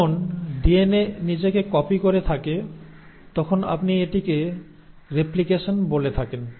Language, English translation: Bengali, When a DNA is re copying itself this is what you call as replication